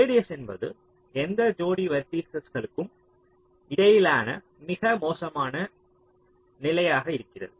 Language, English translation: Tamil, radius is the worst case: distance between any pair of vertices